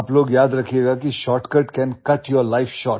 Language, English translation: Hindi, You guys remember that shortcut can cut your life short